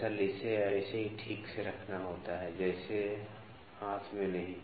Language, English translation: Hindi, Actually, it has to be kept properly like this not in hand